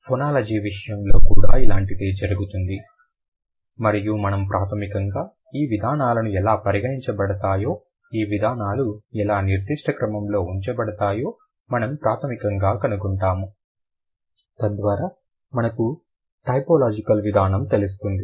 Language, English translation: Telugu, Something similar is also happening here in case of phonology and we will primarily find out how these forms are considered, how these forms are ordered so that we can have a typological approach